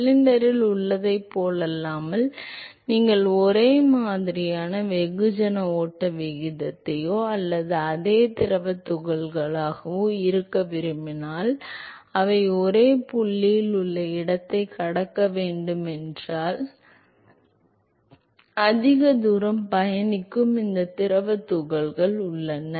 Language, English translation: Tamil, Unlike in cylinder what happens is that if you want to have same mass flow rate or the same fluid particle which started at some location and they have to cross the location in the same point then these fluid particles which is travelling for a larger distance they have to accelerate in order to catch up